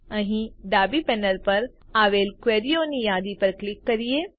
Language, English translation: Gujarati, Now, let us click on the Queries list on the left panel